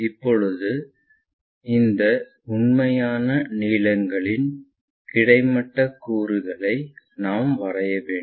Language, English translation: Tamil, Now, we have to draw horizontal component of this true lengths